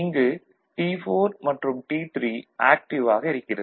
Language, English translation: Tamil, So, in zone III, T4 and T3 both are active, ok